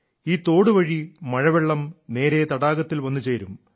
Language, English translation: Malayalam, Through this canal, rainwater started flowing directly into the lake